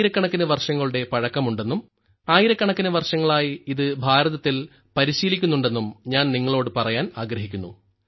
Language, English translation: Malayalam, I would like to tell you that mace exercise is thousands of years old and it has been practiced in India for thousands of years